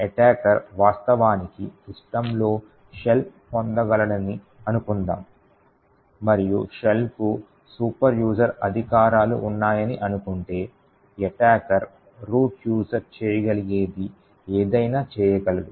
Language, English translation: Telugu, Suppose an attacker actually is able to obtain a shell in a system and if he assume that the shell has superuser privileges then the attacker has super user privileges in that system and can do anything that root user can do